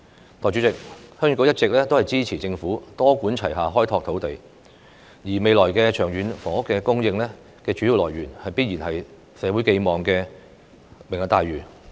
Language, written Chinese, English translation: Cantonese, 代理主席，鄉議局一直支持政府多管齊下開拓土地，而未來長遠房屋供應的主要來源，必然是社會寄望的"明日大嶼"計劃。, Deputy President the Heung Yee Kuk has all along supported using multi - pronged approaches to expand land resources . The main source of housing supply in the long run must be the Lantau Tomorrow Vision project awaited by society